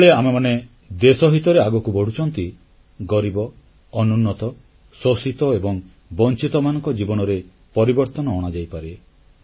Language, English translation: Odia, When we move ahead in the national interest, a change in the lives of the poor, the backward, the exploited and the deprived ones can also be brought about